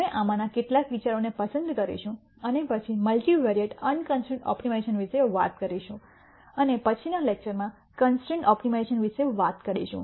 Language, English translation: Gujarati, We will pick up on some of these ideas and then talk about multivariate unconstrained optimization and constrained optimization in the lectures to follow